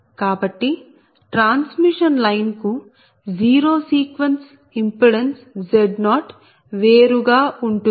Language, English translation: Telugu, so z zero sequence impedance for transmission line is different